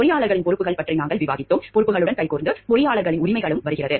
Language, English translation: Tamil, We have discussed about the responsibilities of the engineers, hand in hand with the responsibilities comes the rights of engineers